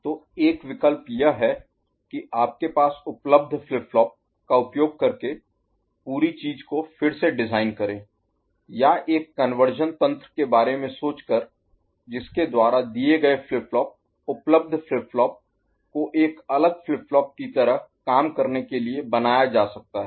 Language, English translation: Hindi, So, one option is to redesign the entire thing using the flip flop that is available with you or thinking of a conversion mechanism by which the given flip flop, the available flip flop can be made to work like a different flip flop ok